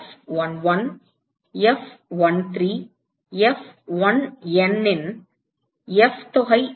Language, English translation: Tamil, What about F sum of F11, F13, F1N